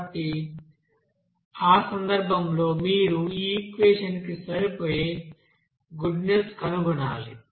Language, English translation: Telugu, So in that case you have to find out that goodness of fit of that equation